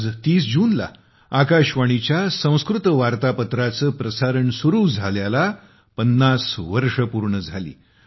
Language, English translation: Marathi, Today, on the 30th of June, the Sanskrit Bulletin of Akashvani is completing 50 years of its broadcast